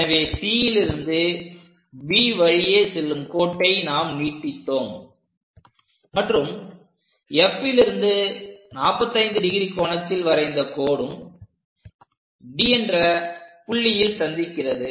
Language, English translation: Tamil, So, that a line passing from C all the way B we extended it and a line at 45 degrees from focus point F, so that is going to intersect at D